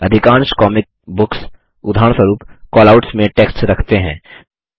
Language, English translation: Hindi, Most comic books, for example, have text placed inside Callouts